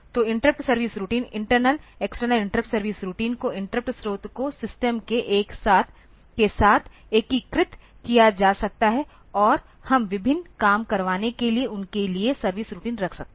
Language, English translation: Hindi, So, this say this the interrupt service routines the internal external interrupt service routines can be interrupt sources can be integrated with the system and we can have the service routines for them for getting various jobs done ok